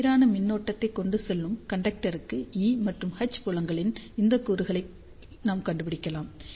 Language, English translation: Tamil, So, for the uniform current carrying conductor, we can find out these components of E and H fields